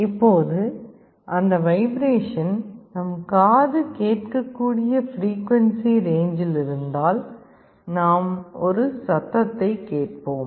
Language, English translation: Tamil, Now, if that vibration is in a frequency range that our ear can hear we will be hearing a sound